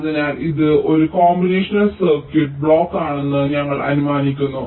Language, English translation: Malayalam, so you assume that this is a combinational circuit block